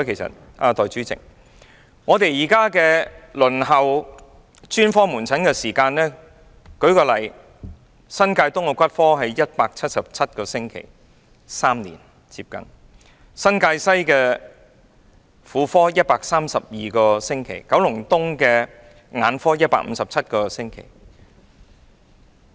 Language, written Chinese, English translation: Cantonese, 代理主席，這是因為現時輪候專科門診的時間很長，以新界東的骨科為例，達177個星期，接近3年；新界西的婦科，達132個星期；九龍東的眼科，達157個星期。, Deputy President my suggestion was prompted by the excessively long waiting time for specialist outpatient services . For example it takes 177 weeks or almost three years to wait for orthopaedics services in New Territories East 132 weeks for gynaecological services in New Territories West and 157 weeks for ophthalmic services in Kowloon East